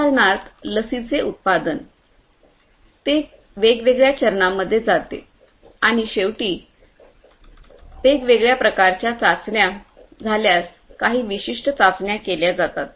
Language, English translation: Marathi, For example, production of a vaccine, you know it goes through different different steps right so and finally, it goes through certain trials if different sorts of trials happen